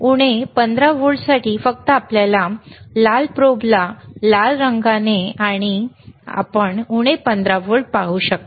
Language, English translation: Marathi, mFor minus 15 volts just connect your red probe to, yes, greenred and you can see minus 15 volts